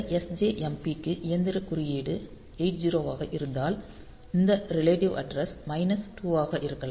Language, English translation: Tamil, So, if you have the machine code is 80 for this sjmp and then this upward this relative address may be minus 2